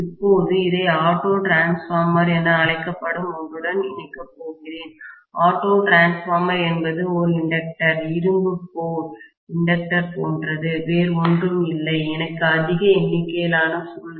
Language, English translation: Tamil, Now, I am going to connect this to something called as an auto transformer, auto transformer is like an inductor, iron core inductor, nothing else, I just have a larger number of coils, okay